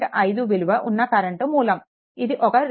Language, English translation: Telugu, 5 this is a current source 2